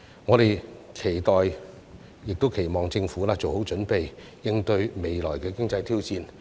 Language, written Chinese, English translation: Cantonese, 我們期待亦期望政府做好準備，應對未來的經濟挑戰。, We expect and hope that the Government will be well prepared for the economic challenges ahead